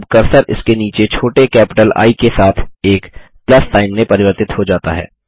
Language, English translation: Hindi, Now the cursor has been transformed into a Plus sign with a small capital I beneath it